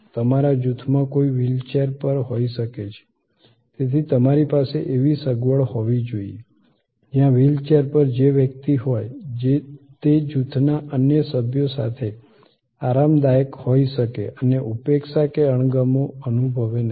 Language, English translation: Gujarati, There could be somebody in your group is on a wheel chair, so you have to have a facilities, where a wheel chair person can be comfortable with the other members of the group and not feel neglected or slighted